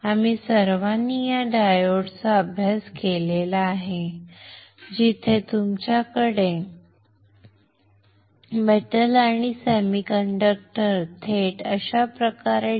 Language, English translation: Marathi, We have all studied this diode right where you have metal and semiconductor directly deposited like this